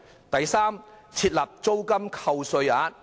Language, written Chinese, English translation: Cantonese, 第三，設立租金扣稅額。, Third to provide tax deduction for rentals